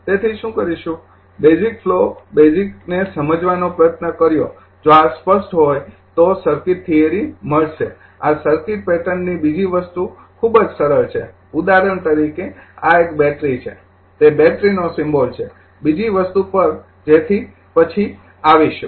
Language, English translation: Gujarati, So, what will do, the just tried to understand the basic flow basic understanding if this is clear then you will find circuit theory this your what you call this circuit pattern another thing is a very simple for example, this is a battery, that is a battery symbol another thing so, will come later